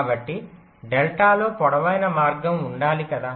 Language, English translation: Telugu, so delta must include the longest path, right